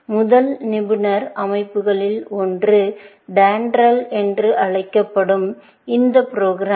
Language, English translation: Tamil, One of the first expert systems was this program called DENDRAL